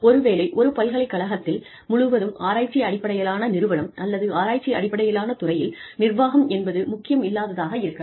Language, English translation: Tamil, Maybe, in a purely research based organization, or a research based department, in a university, administration may not be, so important